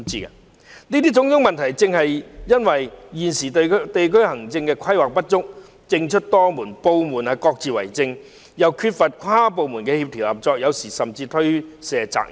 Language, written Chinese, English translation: Cantonese, 上述種種問題，正是因為現時地區行政規劃不足，政出多門，部門各自為政，又缺乏跨部門協調合作，有時甚至推卸責任。, The series of problems above are the result of insufficient planning in district administration fragmentation of responsibilities and inconsistent policies among departments a lack of interdepartmental coordination and cooperation and sometimes even pushing of responsibilities between departments